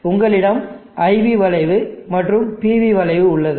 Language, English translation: Tamil, So you have the IV curve and you have the PV curve